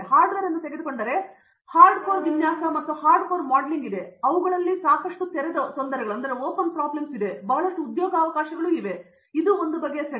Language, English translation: Kannada, Hardware if you take, there is hard core design and hard core modeling and these two have lot of open problems and lot of job opportunities, so this one set